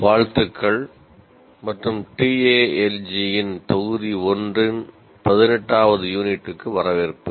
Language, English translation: Tamil, Greetings and welcome to Unit 18 of Module 1 of TAL G